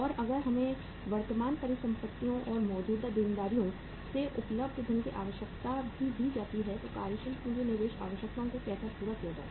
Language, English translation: Hindi, And if we are also given the requirement of the current assets and the funds available from the current liabilities then how to work out the working capital investment requirements